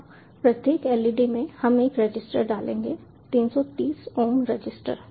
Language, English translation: Hindi, now, across each led will put up a register, three thirty ohm register